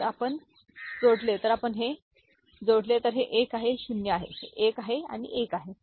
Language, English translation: Marathi, So, if you add if you add, so this is 1, this is 0, this is 1 and this is 1